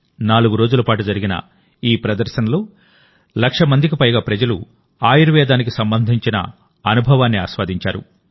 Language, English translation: Telugu, In this expo which went on for four days, more than one lakh people enjoyed their experience related to Ayurveda